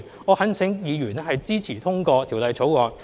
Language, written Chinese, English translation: Cantonese, 我懇請議員支持通過《條例草案》。, I implore Members to support the passage of the Bill